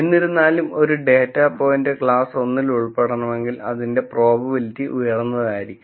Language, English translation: Malayalam, However if a data point belongs to class 1, I want probability to be high